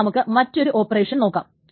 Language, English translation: Malayalam, Then let us think of some other kind of operations